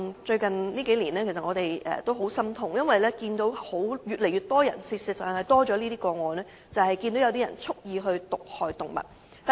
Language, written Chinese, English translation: Cantonese, 最近數年令我們很心痛，因為發生越來越多有人蓄意毒害動物的個案。, It has been very disheartening to see an increasing deliberate act of animal poisoning in recent years